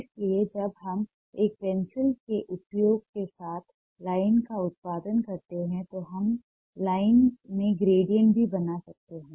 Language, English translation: Hindi, so when we produce line with the use of a pencil, we can also make gradients in the line